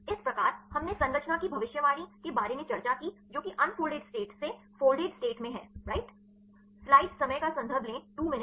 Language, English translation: Hindi, So, we discussed about the structure prediction right from the unfolded state to the folded state, right